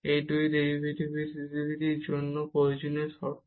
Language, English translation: Bengali, These two are necessary conditions for the differentiability